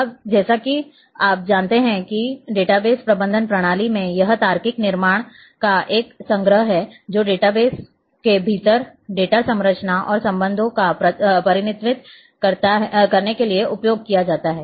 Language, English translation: Hindi, Now, as you know that in database management system it is a collection of logical construct, which is used to represent data structure and relationship within the data database